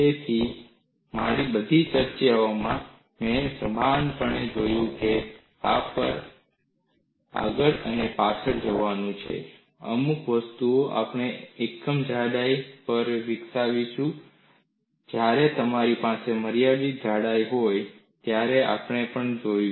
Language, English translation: Gujarati, So, in all my discussions, what I have consciously done is to go back and forth on this; certain things we will develop on unit thickness; we will also look at when you have for a finite thickness